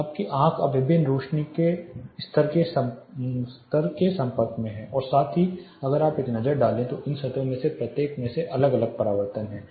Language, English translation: Hindi, So, your eye is now expose to a variety of illuminance level as well as if you take a look each of these surfaces have different reflectance’s